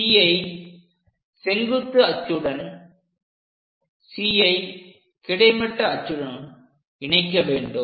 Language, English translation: Tamil, Join C onto this axis vertical axis join D with horizontal axis